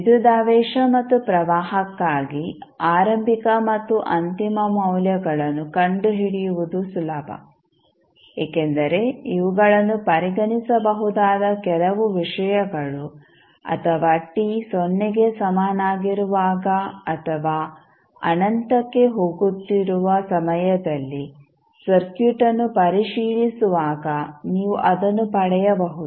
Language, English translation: Kannada, Now, we will it is easier to find the initial and final values for v and I because these are some things which can be considered or you can derive it while just doing the inspection of the circuit for time t is equal to 0 or time t tends to infinity